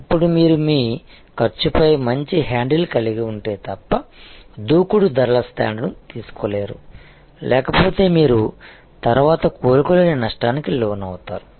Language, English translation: Telugu, Now, you cannot taken aggressive pricing stands, unless you have a very good handle on your cost; otherwise, will land up into lot of loss which you may not be able to recover later